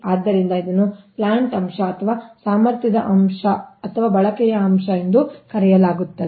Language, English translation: Kannada, so this is known as plant factor, capacity factor or use factor